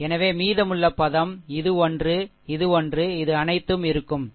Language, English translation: Tamil, So, rest of the elements this one, this one, this one all will be there, right